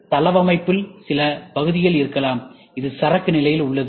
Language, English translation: Tamil, There might be some parts in the layout, where it is in the inventory state